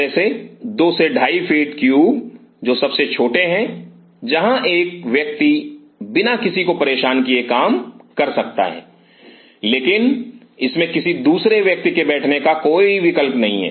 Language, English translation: Hindi, Like this 2 to 2 and half feet cube which are the smallest one where one individual can work without disturbing anybody, but there is no option for a second person to sit in this